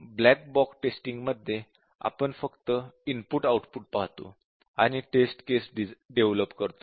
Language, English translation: Marathi, So, in a black box, we just look at the input output behavior and come up with the test case